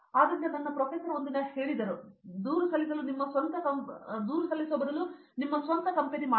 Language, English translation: Kannada, So, my professor one day said stop complaining and make your own company